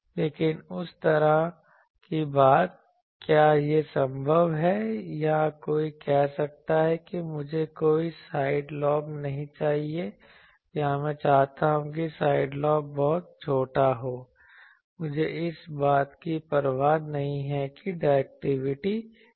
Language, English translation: Hindi, But, that type of thing, is it possible or someone might say that I want that I do not want any side lobe or I want side lobe to be very small, I do not care about what is the directivity